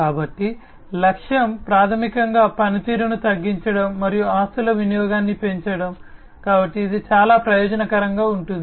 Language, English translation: Telugu, So, the aim is basically to minimize the downtime, and maximize the utilization of the assets, so this is very advantageous